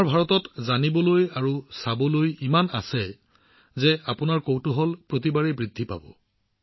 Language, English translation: Assamese, There is so much to know and see in our India that your curiosity will only increase every time